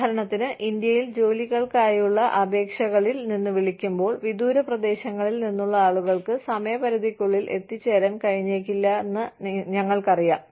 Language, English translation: Malayalam, For example, in India, when we call from the applications for jobs, we know, that people from far flung areas, may not be able to make it, to the deadline